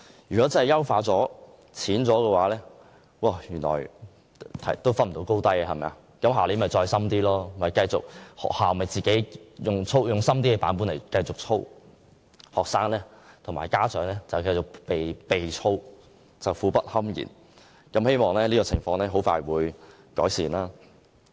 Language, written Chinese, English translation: Cantonese, 如出題較淺未能將學生分出高低，明年又會加深題目，學校則會繼續以較深的版本操練學生，令學生和家長苦不堪言，希望這種情況很快會有改善。, If the easier BCA cannot tell which students are better the questions might become more difficult again and the schools would continue to drill their students using the more difficult questions leaving students and parents in misery . I hope this situation can soon be ameliorated